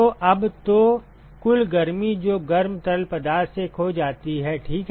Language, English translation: Hindi, So, now so, the overall heat that is lost by the hot fluid ok